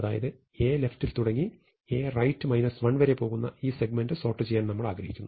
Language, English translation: Malayalam, So, we want to sort this segment, starting at A left and going up to and including A right minus 1